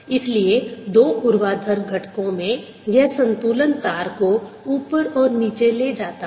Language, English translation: Hindi, so this, this balance in the in the two vertical components, make the string up and down